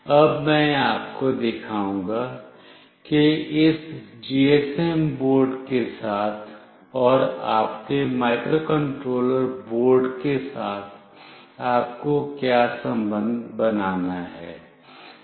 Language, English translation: Hindi, Now I will be showing you what connection you have to make with this GSM board, and with your microcontroller board